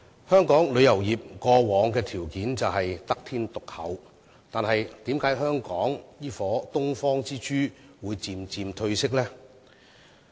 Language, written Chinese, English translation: Cantonese, 香港旅遊業以往的條件是得天獨厚的，但為甚麼這顆東方之珠會漸漸褪色？, Hong Kongs tourism industry used to enjoy very unique advantages but how come this Pearl of the Orient is losing its lustre?